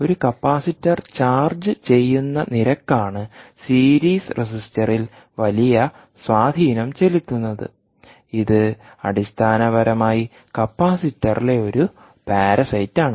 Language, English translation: Malayalam, so the this is the rate at which a capacitor is charged is charging will have a huge bearing on the series resistor, which is basically a parasite on the capacitor